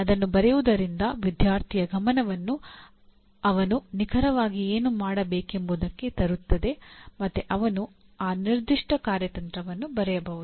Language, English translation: Kannada, That itself, writing that itself will bring the attention of the student to what exactly he needs to do and he can write down that particular strategy